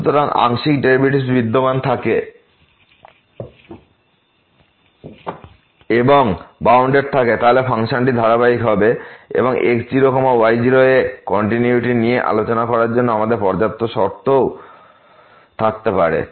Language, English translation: Bengali, So, if the partial derivatives exists and they are bounded, then the function will be continuous and we can also have a sufficient condition to discuss this continuity at naught naught